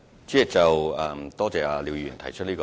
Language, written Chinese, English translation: Cantonese, 主席，我感謝廖議員提出意見。, President I thank Mr LIAO for stating his views